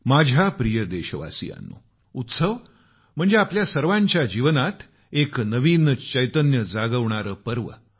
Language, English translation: Marathi, My dear countrymen, festivals are occasions that awaken a new consciousness in our lives